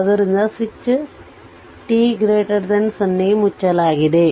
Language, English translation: Kannada, So, switch is closed right for t greater than 0